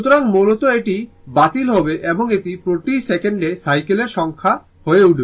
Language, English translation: Bengali, So, it basically it will cancel it will become number of cycles per second